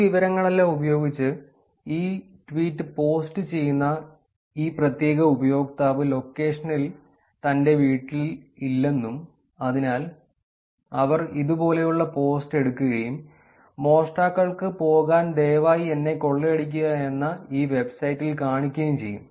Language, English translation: Malayalam, Using all this information they find out that this particular user who is posting this tweet is not in his or her home in location and therefore, they would actually take the post and show it in this website called please rob me dot com for burglars to go and rob the home